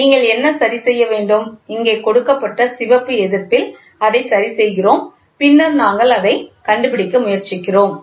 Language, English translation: Tamil, So, what are you to adjust so, we adjust it in the red resistance given here and then we try to find out